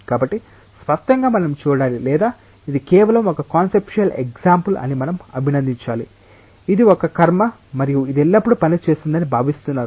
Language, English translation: Telugu, So; obviously, we need to see that or we need to appreciate that this is just a conceptual paradigm it is not something which is a ritual and which is expected to work always